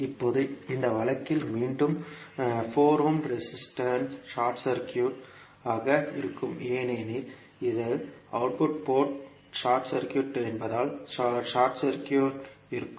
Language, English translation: Tamil, Now, in this case again the 4 ohm resistor will be short circuited because this will be short circuited because of the output port is short circuit